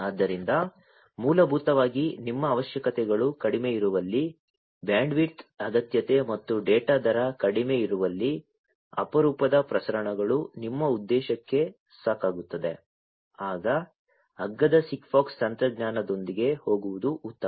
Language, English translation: Kannada, So, basically where your requirements are less, where the bandwidth requirement and data rate are less, where infrequent transmissions will suffice your purpose, then it might be better to go with cheaper SIGFOX technology